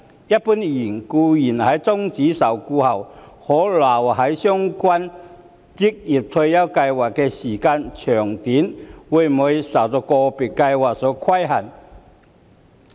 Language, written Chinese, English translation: Cantonese, 一般而言，僱員在終止受僱後可留在相關職業退休計劃的時間長短會受個別計劃所規限。, The duration for which an employee could remain in the relevant OR Scheme after cessation of employment would generally be governed by individual scheme rules